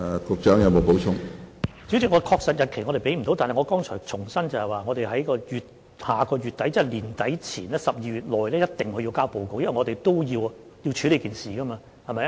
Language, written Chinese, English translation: Cantonese, 主席，我們無法提供確實日期，但我剛才已經重申，在下月底，即年底，在12月內必須提交報告，因為我們也須處理這件事。, President we cannot provide a specific date but I have already reiterated that by the end of next month that is by the end of this year or in December the report must be submitted because we must also deal with this matter